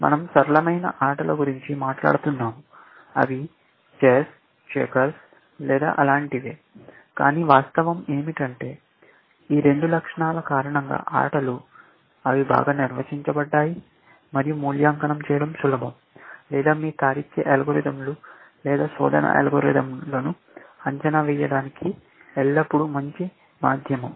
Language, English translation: Telugu, We are talking of simpler games, which are like chess and checkers, and so on and so forth, essentially, but the fact is that games, because of these two features; they were well defined and easy to evaluate, or always the good medium for evaluating your reasoning algorithms or search algorithms